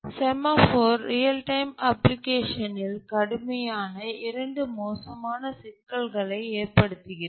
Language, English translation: Tamil, The semaphore causes severe problems in a real time application